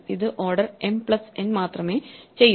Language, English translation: Malayalam, It will do only order m+n